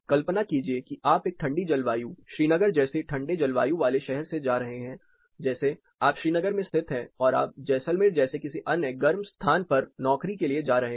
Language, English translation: Hindi, Imagine you are moving from a colder climate, a city in a colder climate like Srinagar, you are located in Srinagar you are moving for a job to some other hotter location like Jaisalmer